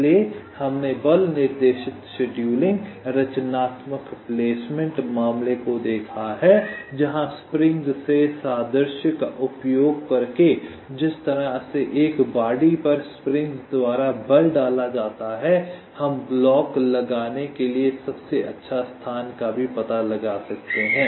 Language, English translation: Hindi, so we have seen the ah force directed scheduling and constructive placement case where, using means, analogy from springs, the way forces are exerted by springs on a body, we can also find out the best location to place the blocks